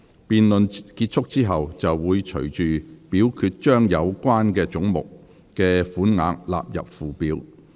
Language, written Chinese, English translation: Cantonese, 辯論結束後，會隨即表決將有關總目的款額納入附表。, After the debate has come to a close the committee will forthwith vote on the sums for all such heads standing part of the Schedule